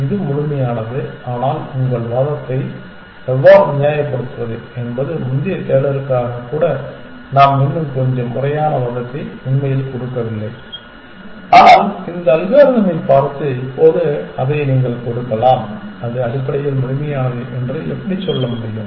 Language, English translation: Tamil, It is complete, but how would justify your argument actually we did not actually give a very a little bit more formal argument even for the earlier search is, but you can give it now looking at this algorithm how can you say that it is complete essentially